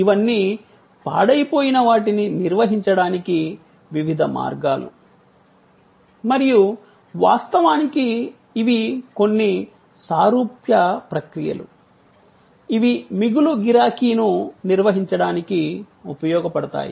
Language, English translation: Telugu, These are all different ways of managing the perishability and of course, these are certain similar processes can be used to manage demand overflow